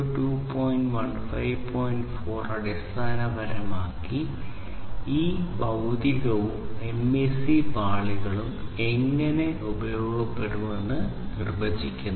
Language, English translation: Malayalam, 4 basically talks about the definition of how these physical and the MAC layers are going to be used